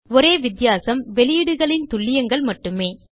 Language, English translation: Tamil, The only difference is in the precisions of outputs